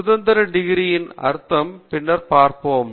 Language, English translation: Tamil, What is meant by degrees of freedom we will see a bit later